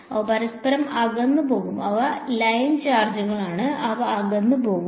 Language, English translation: Malayalam, They will move away from each other, they are line charges they will move away